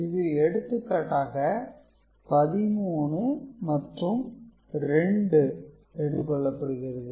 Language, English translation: Tamil, So, the example is taken is of 13 and 2